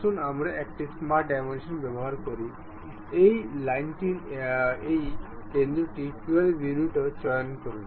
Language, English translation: Bengali, Let us use smart dimension, pick this center point to this line also 12 units